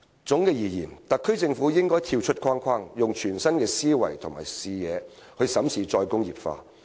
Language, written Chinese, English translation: Cantonese, 總的來說，政府應跳出框框，以全新思維和視野審視"再工業化"。, In summary the Government should think out of the box and look at re - industrialization from a new perspective with a new mindset